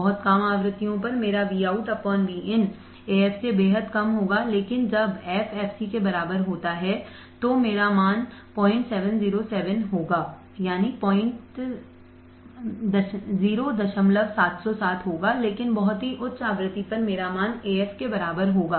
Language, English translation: Hindi, At very low frequencies my Vout by Vin will be extremely less than Af, but when f equals to fc, I will have the similar value 0